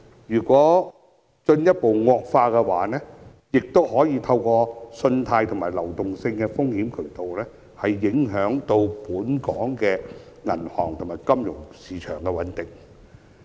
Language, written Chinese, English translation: Cantonese, 如果問題進一步惡化，亦可能透過信貸和流動性風險渠道，影響本港銀行業和金融市場的穩定。, The stability of Hong Kongs banking system and financial market will also be undermined due to the credit and liquidity risks in case the problem further deteriorates